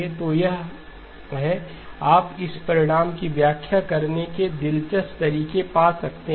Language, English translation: Hindi, So this is you can find interesting ways of interpreting this result